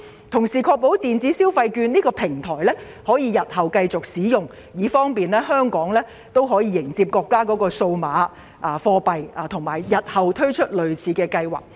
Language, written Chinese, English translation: Cantonese, 同時，政府應確保電子消費券的平台系統日後可繼續使用，以便香港配合國家的數碼貨幣計劃和再次推出類似計劃。, Meanwhile the Government should ensure that the platform system developed for the electronic consumption voucher scheme can continue to be used in future to dovetail with the countrys implementation of digital currency scheme and the future introduction of similar schemes in Hong Kong